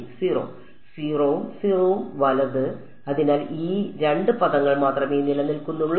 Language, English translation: Malayalam, 0 and 0 right so only these two term survive